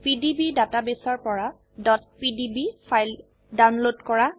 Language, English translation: Assamese, * Download .pdb files from PDB database